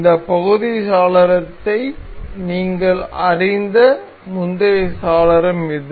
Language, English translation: Tamil, This the earlier window you are familiar with this part window